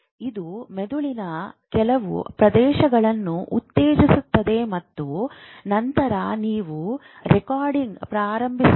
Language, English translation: Kannada, It stimulates a certain area of brain and then you record the thing